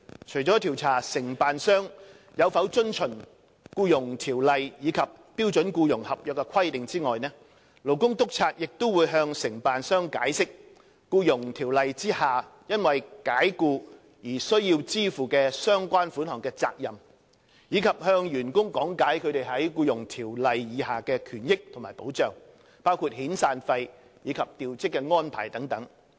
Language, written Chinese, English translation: Cantonese, 除了調查承辦商有否遵從《僱傭條例》及標準僱傭合約的規定外，勞工督察亦會向承辦商解釋《僱傭條例》下因解僱而須支付相關款項的責任，以及向員工講解他們在《僱傭條例》下的權益及保障，包括遣散費及調職安排等。, Apart from investigating whether contractors have complied with the Employment Ordinance and the requirements of the standard employment contract Labour Inspectors will also explain to contractors their responsibility of making the relevant payments for dismissal under the Employment Ordinance and explain to employees their rights and benefits as well as protection under the Employment Ordinance such as severance payment and transfer of posting